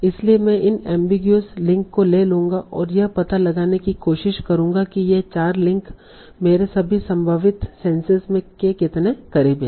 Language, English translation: Hindi, So I will take these analogous links and try to find out how close these four links are to my all of these possible senses